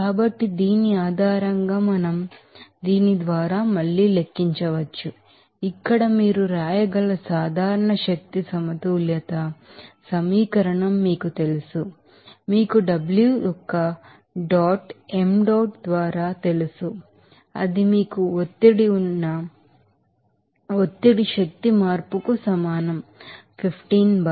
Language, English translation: Telugu, So, based on which we can then calculate again by this you know that general energy balance equation where you can write here you know W s dot by m dot that will be equal to what is that pressure energy change there you have pressure is 15 bar